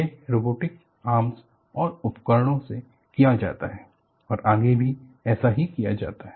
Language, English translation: Hindi, It has to be done by robotic arms and tools and so on and so forth